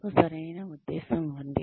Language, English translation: Telugu, You have the right intention